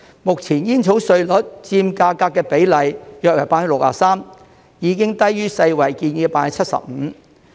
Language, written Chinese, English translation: Cantonese, 目前煙草稅率佔價格的比例約為 63%， 已低於世界衞生組織建議的 75%。, The current tobacco duty rate which is about 63 % of the price is already lower than the 75 % recommended by the World Health Organization